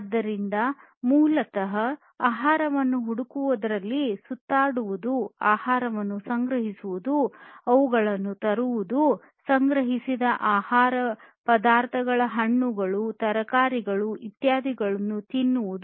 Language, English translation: Kannada, So, basically wandering around collecting food, bringing them, eating the food through the collected samples and so on collected food materials like fruits, vegetables, etc whatever they used to find